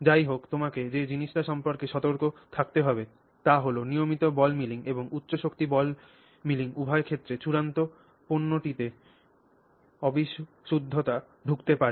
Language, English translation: Bengali, However, the thing that you have to be cautious about is both with respect to ball milling and high energy ball milling is that you will very likely you can introduce impurities in your final product